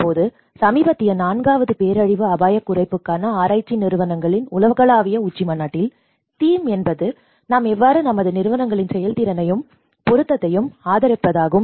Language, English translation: Tamil, Now, in the recent the fourth summit, global summit of research institutes for disaster risk reduction, the theme is about the increasing the effectiveness and relevance of our institutes how we can increase